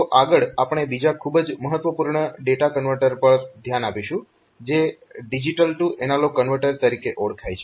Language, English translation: Gujarati, So, next, so next we will look into another very important data converter which is known as digital to analog converter